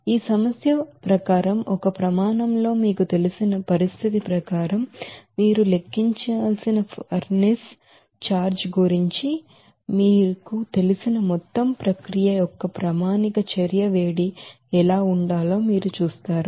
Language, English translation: Telugu, And then, according to this problem at a standard you know condition there you will see that what should be the standard heat of reaction of this process for the entire you know furnace charge you have to calculate